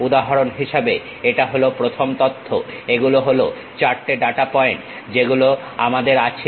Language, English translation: Bengali, For example, this is the first data these are the 4 data points, we have